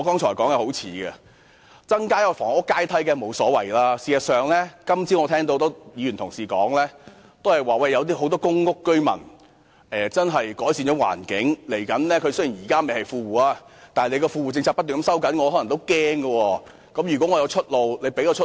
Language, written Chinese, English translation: Cantonese, 增設房屋階梯當然沒問題，而我今早亦聽到多位議員表示有很多公屋居民確實改善了狀況，雖然現在不是富戶，但由於政府不斷收緊富戶政策，他們亦可能感到擔心。, There is certainly no problem with creating an additional housing ladder . And this morning I also heard various Members say that many PRH tenants who had truly improved their lot might be worried as the Government kept tightening its grip on the Well - off Tenants Policies even though they were not well - off tenants presently